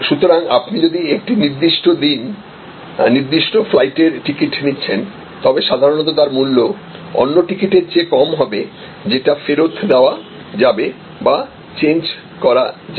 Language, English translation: Bengali, So, if you are taking a fixed day, fixed flight ticket, usually the price will be lower than a ticket which is refundable or changeable